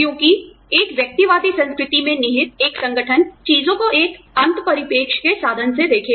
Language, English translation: Hindi, Because, an organization rooted in an individualistic culture, will look at things, from the means to an end perspective